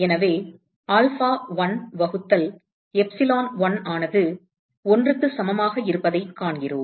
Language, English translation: Tamil, So, we find that alpha1 by epsilon1 equal to 1